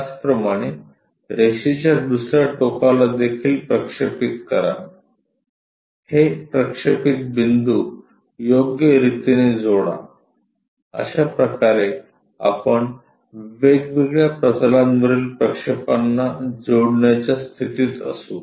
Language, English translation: Marathi, Similarly, the other end of the line also projected suitably connect these projections; that is the way we will be in a position to join the projections onto different planes